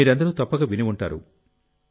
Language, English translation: Telugu, You all must have heard about it